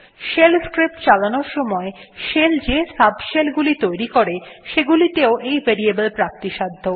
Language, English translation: Bengali, These are also available in subshells spawned by the shell like the ones for running shell scripts